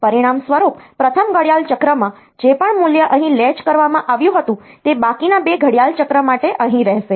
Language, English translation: Gujarati, As a result, whatever value that was latched here in the first clock cycle it will they will remain here for the remaining 2 clock cycle